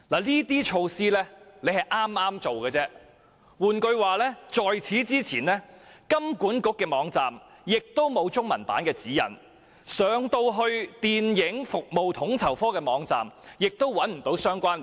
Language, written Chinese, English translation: Cantonese, 這些措施是剛剛推出的，換言之，在此之前，金管局的網站並沒有中文版指引，而且統籌科的網站也沒有相關連結。, These are newly launched measures . In other words HKMAs website did not have application guidelines in Chinese before and FSOs website did not have the link either